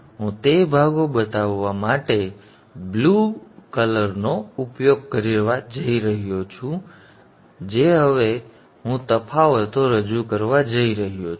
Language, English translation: Gujarati, I am going to use the blue color to show the portions at which now I am going to introduce the differences